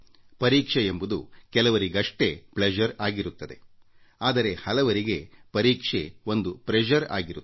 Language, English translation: Kannada, But there are very few people for whom there is pleasure in the exam; for most people exam means pressure